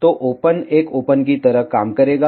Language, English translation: Hindi, So, an open will act like a open